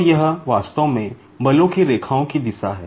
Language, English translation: Hindi, So, this is actually the direction of the lines of forces